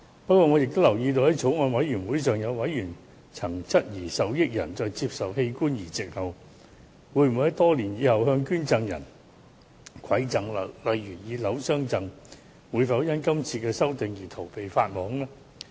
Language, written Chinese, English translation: Cantonese, 不過，我亦留意到，在法案委員會上，有委員曾質疑受益人在接受器官移植後，會否在多年後才向捐贈人饋贈，例如以樓宇相贈，他們會否因今次修訂而逃避法網呢？, However I also note that a member questioned in the meeting of the Bills Committee that in case a beneficiary present a gift such as a flat as a gift to the organ donor years after the transplant can heshe avoid the net of justice?